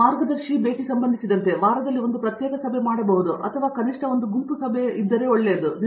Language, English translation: Kannada, As far as the guide is concerned, I think once a week either in individual meeting or least a group meeting is pretty good